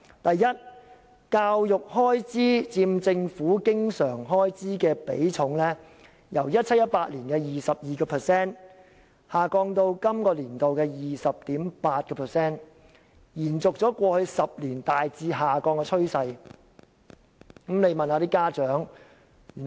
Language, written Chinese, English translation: Cantonese, 第一，教育開支佔政府經常開支的比重，由 2017-2018 年度的 22% 下降至本年度的 20.8%， 延續過去10年大致下降的趨勢。, First the share of education expenditure has maintained a declining trend over the past 10 years dropping from 22 % of total government expenditure in 2017 - 2018 to 20.8 % this year